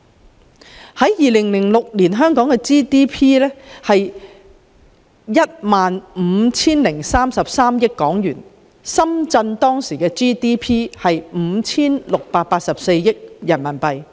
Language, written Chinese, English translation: Cantonese, 到了2020年，香港的 GDP 是 27,107 億元，深圳的 GDP 卻已增長3倍至 27,670 億元人民幣。, In 2020 while Hong Kongs GDP amounted to 2,710.7 billion Shenzhens GDP has already increased by three times to RMB2,767 billion